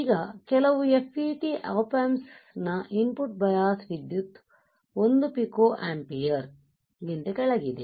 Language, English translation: Kannada, Now, some FET op amps have input bias current well below 1 pico ampere ok